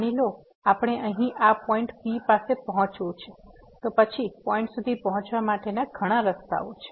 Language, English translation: Gujarati, Suppose we want to approach to this point here, then there are several paths to approach this point